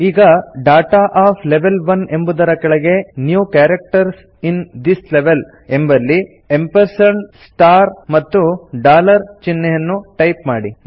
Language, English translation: Kannada, Now, under Data of Level 1, in the New Characters in this Level field, enter the symbols ampersand, star, and dollar